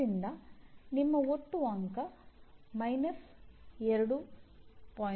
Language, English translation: Kannada, So it is very specific